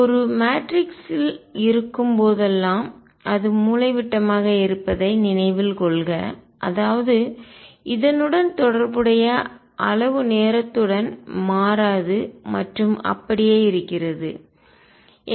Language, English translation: Tamil, Recall that whenever there is a matrix which is diagonal; that means, the corresponding quantity does not change with time and is conserved